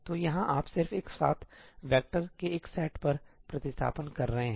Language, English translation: Hindi, So, here you are just doing back substitution on a set of vectors together